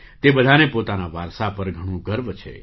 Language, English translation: Gujarati, All of them are very proud of their heritage